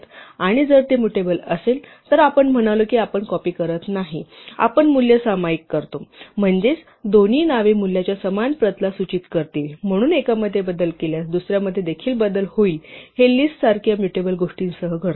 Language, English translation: Marathi, And if it is mutable, we said we do not copy, we share the value; that is, both names will point to the same copy of the value, so change in one will also make a change in the other; that happens with mutable things like lists